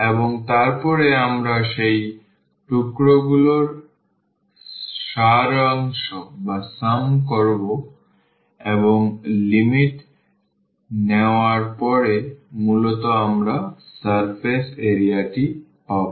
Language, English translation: Bengali, And, then we will sum those pieces and after taking the limit basically we will get the surface area of the of the surface